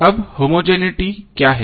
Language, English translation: Hindi, Now what is homogeneity